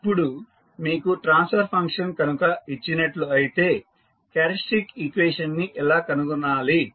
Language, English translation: Telugu, Now, if you are given the transfer function, how to find the characteristic equation